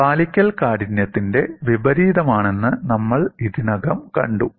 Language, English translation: Malayalam, We have already seen compliance is inverse of stiffness